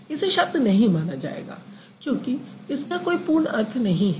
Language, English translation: Hindi, No, it will not be considered as a word because it doesn't give you complete meaning